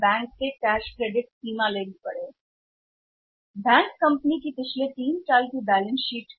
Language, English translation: Hindi, Banks have to analyse the balance sheet of the company past three years balance sheets of the company